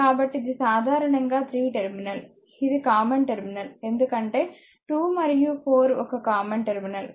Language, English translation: Telugu, So, this is basically a 3 terminal, because this is common terminal 2 and 4 is a common terminal